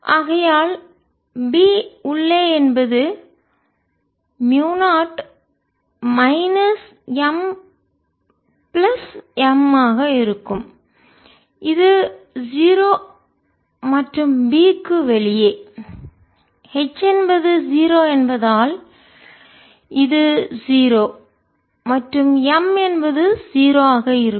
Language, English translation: Tamil, i also know that b is equal to mu zero, h plus m and therefore b inside will be mu zero minus m plus m, which is zero, and b outside, since h is zero will be zero, m is zero there